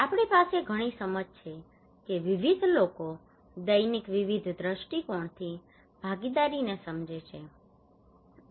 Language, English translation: Gujarati, We have a lot of understanding of that various people understood participations from daily various perspective